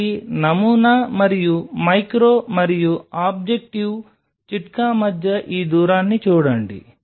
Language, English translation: Telugu, So, look at this distance between the sample and the micro and the objective tip